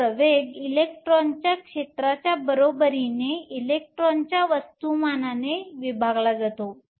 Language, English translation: Marathi, So, the acceleration is equal to the electric field divided by the mass of the electron